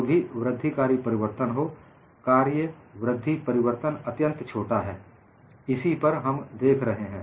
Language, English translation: Hindi, Whatever the incremental change, the incremental change is extremely small; that is what we are looking at